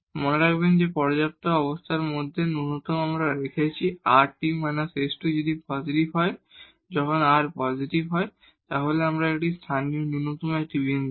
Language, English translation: Bengali, And remember in the sufficient conditions we have seen that if rt minus s square is positive, when r is positive then this is a point of local minimum